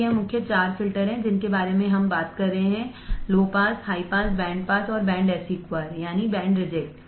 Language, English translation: Hindi, So, that is the main four filters that we are talking about: low pass, high pass, band pass and band reject